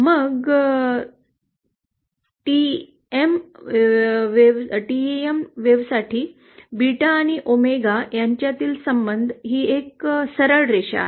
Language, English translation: Marathi, Then for TEM wave, the relationship between beta and omega is a straight line